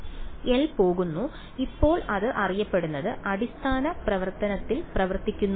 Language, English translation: Malayalam, L goes and now it is acting on a known basis function